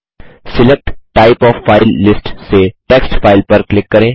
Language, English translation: Hindi, From the Select type of file list, click on Text file